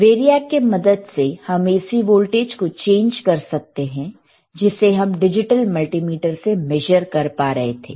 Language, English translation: Hindi, Variac can be used to change the AC voltage, which we were able to measure using the digital multimeter